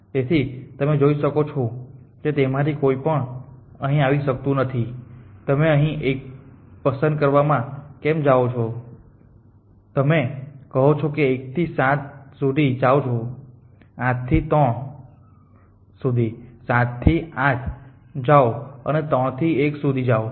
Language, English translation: Gujarati, So, you can see that neither of them can come here, because if you go to choose 1 here then you saying form 1 go to 7, from 7 go to 8 from 8 go to 3 and from 3 go to 1